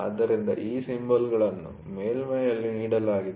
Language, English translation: Kannada, So, these symbols are given on a surface